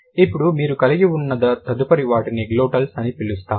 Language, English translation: Telugu, Then the next one you have is like we call them glottles